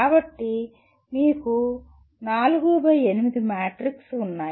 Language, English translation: Telugu, So you have 4 by 8 matrix